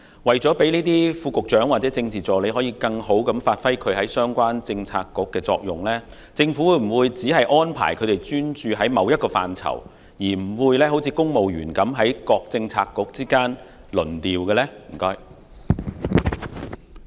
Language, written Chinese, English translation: Cantonese, 為了讓副局長或政治助理在相關政策局更有效地發揮作用，政府會否只安排他們專注某個範疇，不會像公務員般在各政策局之間輪調？, In order to enable Under Secretaries or Political Assistants to play a more effective role in the relevant Policy Bureaux will the Government deploy them to only work on a specialized policy area rather than posting them across Policy Bureaux as in the case of civil servants?